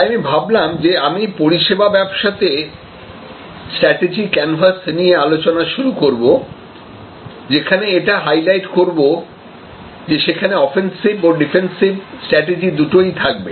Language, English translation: Bengali, So, I thought I will start with a discussion on strategy canvas for a services business, highlighting the fact that there will be defensive strategies, offensive strategies